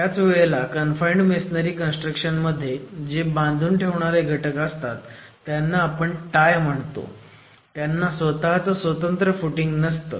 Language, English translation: Marathi, Whereas in confined masonry constructions, the confining elements, the tie elements do not have independent foundations, do not have their own foundations